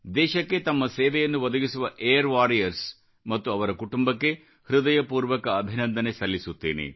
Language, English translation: Kannada, From the core of my heart, I congratulate those Air Warriors and their families who rendered service to the nation